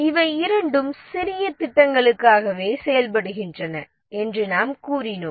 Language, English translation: Tamil, We said that both of these work for small projects